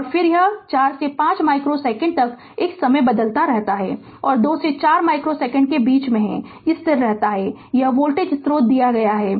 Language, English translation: Hindi, And again from 4 to 5 micro second, it is time varying; in between 2 to 4 micro second, it is constant; this voltage source is given right